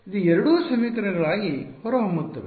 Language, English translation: Kannada, It will turn out that two of these equations are